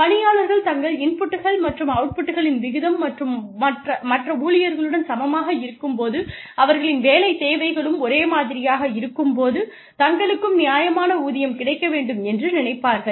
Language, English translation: Tamil, Employees will think that, they are fairly paid, when the ratio of their inputs and outputs, is equivalent to that of other employees, whose job demands are similar, to their own